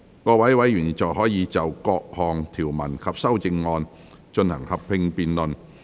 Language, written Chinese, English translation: Cantonese, 各位委員現在可以就各項條文及修正案，進行合併辯論。, Members may now proceed to a joint debate on the clauses and amendments